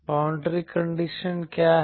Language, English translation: Hindi, What are the boundary condition